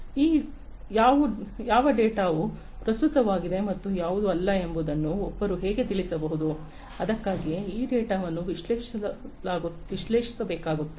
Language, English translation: Kannada, So, how can one know which data are relevant and which are not, so that is why this data will have to be analyzed